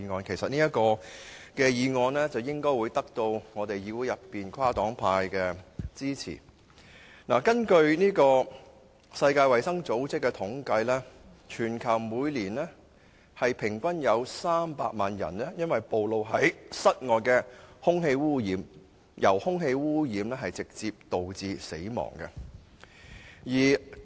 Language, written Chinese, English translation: Cantonese, 這項議案應會得到議會內跨黨派的支持。根據世界衞生組織的統計，全球每年平均有300萬人因暴露在室外空氣污染而直接導致死亡。, According to the statistics produced by the World Health Organization exposure to outdoor air pollution is the direct cause of death of an average of 3 million people globally every year